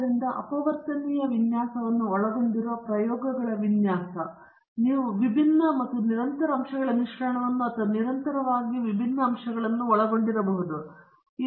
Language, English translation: Kannada, So, the design of experiments involving the factorial design, you can have both the mix of discrete and continuous factors or continuously varying factors